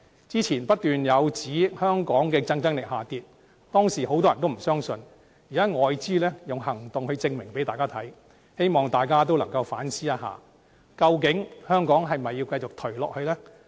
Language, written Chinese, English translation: Cantonese, 之前不斷有研究指香港的競爭力下跌，當時很多人也不相信，現在外資用行動向大家證明，希望大家能夠反思一下，究竟香港是否要繼續頹下去呢？, Some previous studies pointed out that the competitiveness of Hong Kong was dropping but many people did not believe that back then . This is now being proved to us by foreign capital in action . I hope that we can reflect on this